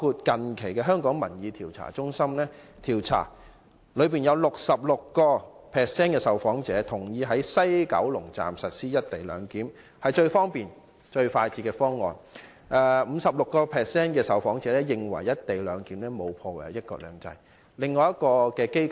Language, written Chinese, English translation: Cantonese, 近期，香港民意調查中心的調查顯示 ，66% 的受訪者認同在西九龍站實施"一地兩檢"，認為這是最方便和最快捷的方案，而 56% 的受訪者認為"一地兩檢"並沒有破壞"一國兩制"。, As shown in a recent survey of the Hong Kong Public Opinion Research Centre 66 % of the respondents agreed with the implementation of the co - location arrangement in the West Kowloon Station WKS considering it the most convenient and fastest option while 56 % of the respondents held that the co - location arrangement was not detrimental to one country two systems